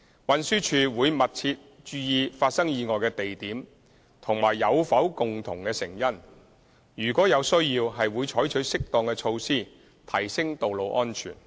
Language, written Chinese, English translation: Cantonese, 運輸署會密切留意發生意外的地點和有否共同成因，如有需要，會採取適當的措施提升道路安全。, TD will closely monitor the locations of the traffic accidents and consider whether there could be common contributing factors and if necessary take appropriate measures to enhance road safety